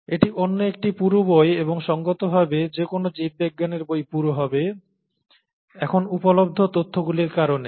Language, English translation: Bengali, This is another thick book, and any biology book would be a reasonably thick book because of the information that is available now